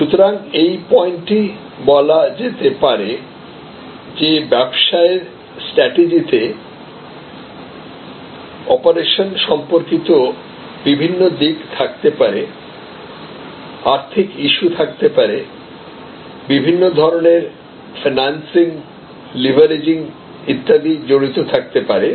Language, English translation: Bengali, So, this is a point that in a business strategy, there are may be different aspects with respect to operations, in a business strategy there could be financing issues, different types of financing leveraging, etc may be involved